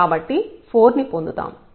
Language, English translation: Telugu, So, we will get 4